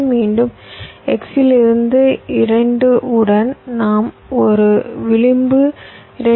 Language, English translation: Tamil, from x we have an edge two, point three